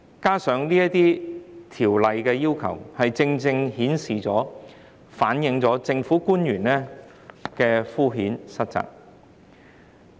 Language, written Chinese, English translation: Cantonese, 這些要求正正顯示、反映政府官員的敷衍塞責。, These requirements precisely reflect the sloppiness of government officials